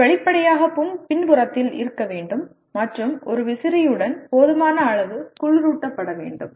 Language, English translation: Tamil, It should obviously be at the back and adequately cooled with a fan or otherwise